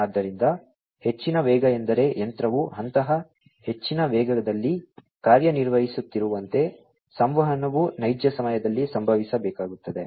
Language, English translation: Kannada, So, high speed means like you know the machine is operating in such a you know such a high speed, that the communication will have to happen in real time